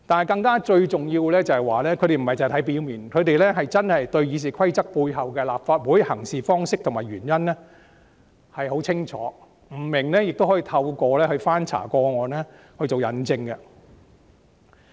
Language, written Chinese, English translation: Cantonese, 更重要的是，他們不單只看文字的表面意思，更了解《議事規則》訂明立法會行事方式背後的原因，不明白時更會翻查過往的事例，以作佐證。, More importantly they do not only look at the literal meanings of the text but also understand the reasons behind the practices of the Legislative Council stipulated in RoP . If they are in doubt they will check previous examples to find proof